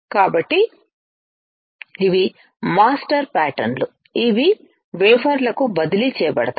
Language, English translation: Telugu, So, these are master patterns which are transferred to the wafers